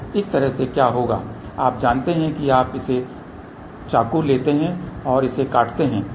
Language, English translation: Hindi, So, this way what will happen you just you know take it knife and cut it on